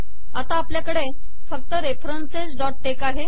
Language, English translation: Marathi, Now we compile references.tex